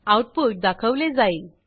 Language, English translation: Marathi, The output is shown